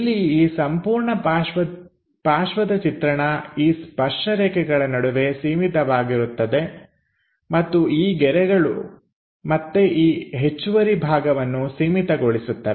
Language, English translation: Kannada, So, here the entire side view is bounded by these tangent lines and these lines are again bounding this extra portion